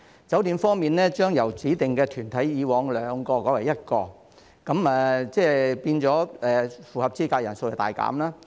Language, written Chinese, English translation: Cantonese, 酒店方面，指定團體將會由以往的兩個改為一個，即是符合資格的人數亦大減。, With respect to the hotel industry the number of designated bodies will reduce from two in the past to one which also means that the number of eligible persons will be greatly reduced